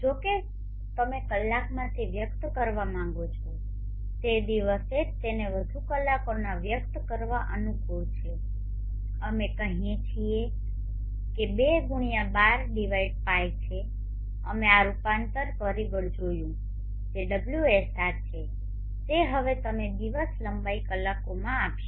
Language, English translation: Gujarati, However if you want to express it in hours the of the day it is more convenient to express in hours we say it is 2x12/p we saw this conversion factor into